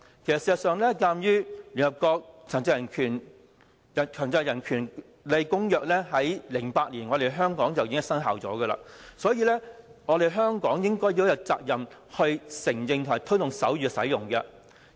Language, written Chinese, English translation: Cantonese, 事實上，鑒於聯合國《殘疾人權利公約》自2008年起已經在香港生效，所以，香港應該有責任承認和推動手語的使用。, In fact given that the United Nations Convention on the Rights of Persons with Disabilities has been in force in Hong Kong since 2008 Hong Kong shall have the responsibility to recognize and promote the use of sign language